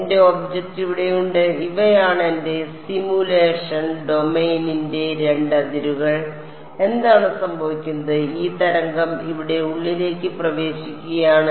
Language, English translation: Malayalam, I have my object over here these are the 2 boundaries of my simulation domain fine what is happening is that this wave is entering inside over here